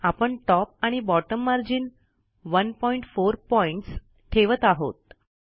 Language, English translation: Marathi, I will change Top and Bottom margins to 1.4pt